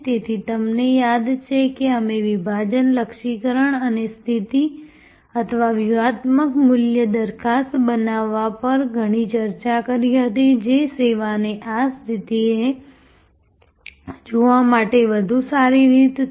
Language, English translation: Gujarati, So, you remember we had lot of discussion on segmentation, targeting and positioning or creating the strategic value proposition, which is a better way to look at this positioning the service